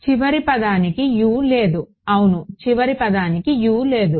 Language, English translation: Telugu, The last term does not have a U yeah the last term does not have a U